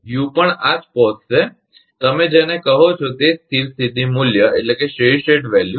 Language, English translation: Gujarati, U also will reach to this same, your what you call that same steady state value